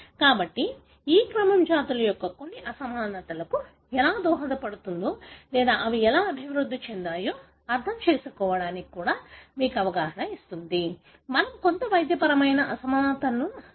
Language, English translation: Telugu, So, that gives you an understanding as to how the sequence may contribute to certain inequalities of the species or even to understand how they evolved and this, we can even have some medical relevance